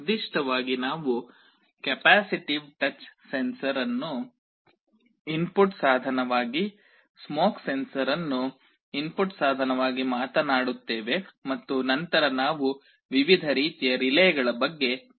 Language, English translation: Kannada, Specifically, we shall be talking about capacitive touch sensor as an input device, smoke sensor also as an input device, and then we shall be talking about different kinds of relays